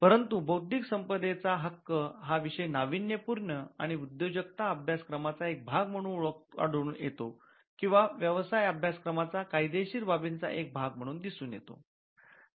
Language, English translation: Marathi, You find intellectual property rights coming as a part of the innovation and entrepreneurship course or you will find it as a part of the legal aspects of business course